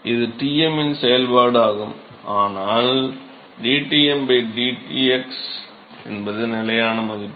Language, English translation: Tamil, dTm by Tm is a function of x, but dTm by dx is constant and